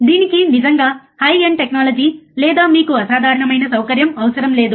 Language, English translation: Telugu, It does not really require high end technology or you know extraordinary facility